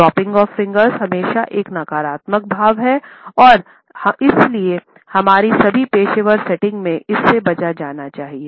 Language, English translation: Hindi, Dropping of fingers is always a negative gesture and therefore, it should be avoided in all of our professional settings